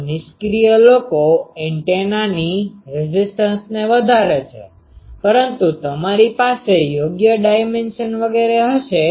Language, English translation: Gujarati, So, passive ones increase the impedance of the antenna, but you will have to have the proper dimension etc